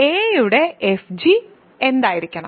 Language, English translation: Malayalam, So, fg is in R